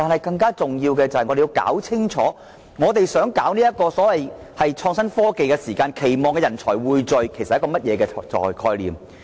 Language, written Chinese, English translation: Cantonese, 更重要的是，我們要弄清楚發展所謂創新科技的時候，人才匯聚其實是一個甚麼概念？, More importantly we must clarify the concept of pooling talents while pursuing the development of innovation and technology so to speak